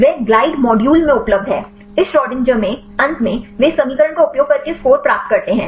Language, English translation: Hindi, They are available in the glide module; in this Schrodinger then finally, they get the score using this equation